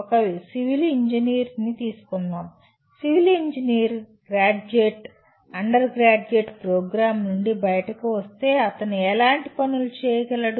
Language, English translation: Telugu, Today if I look at a civil engineer, a civil engineering graduate coming out of a undergraduate program, what kind of things he should be capable of doing